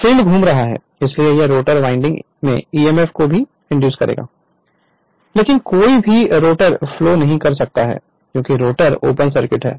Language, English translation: Hindi, So, field is rotating so it will also induce your what you call emf in the rotor winding, but no rotor current can flow because we are assume the [roton/rotor] rotor is open circuited right